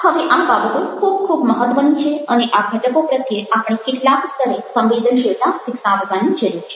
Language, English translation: Gujarati, now, these things are very, very important and we need to develop certain degree of sensitivity to these elements